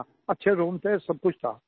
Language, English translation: Hindi, The rooms were good; had everything